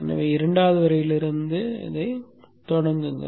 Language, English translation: Tamil, So start from the second line